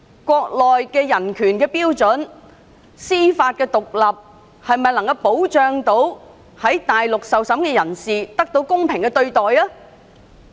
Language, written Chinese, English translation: Cantonese, 國內的人權標準和司法獨立程度能否保障在大陸受審的人士得到公平審訊？, Are the human rights standards and the level of judicial independence in the Mainland good enough to safeguard defendants right to fair trial in the territory?